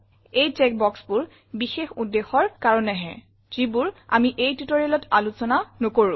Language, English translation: Assamese, These check boxes are for special purposes, which we will not discuss in this tutorial